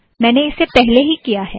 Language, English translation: Hindi, I have already done that